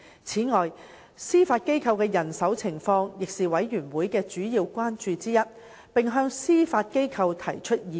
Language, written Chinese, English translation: Cantonese, 此外，司法機構的人手情況亦是事務委員會的主要關注之一，並向司法機構提出意見。, Besides the manpower of the Judiciary was also one of the main concerns of the Panel and advice was given by the Panel to the Judiciary